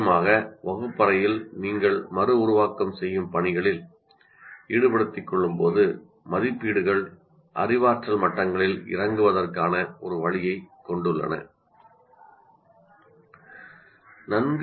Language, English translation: Tamil, And when you stick to the reproduction tasks mainly in the classroom, the assessments have a way of coming down the cognitive levels